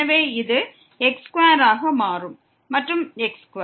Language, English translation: Tamil, So, this will become square and power 2